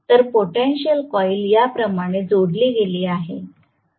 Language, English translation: Marathi, So, the potential coil is connected like this